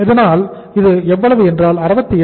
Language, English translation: Tamil, So this will be how much 68